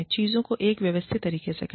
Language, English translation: Hindi, Do things, in an evenhanded manner